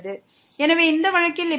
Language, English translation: Tamil, So, in this case this is 0